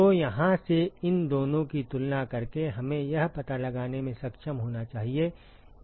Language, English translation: Hindi, So, from here equating these two we should be able to find out what Tco is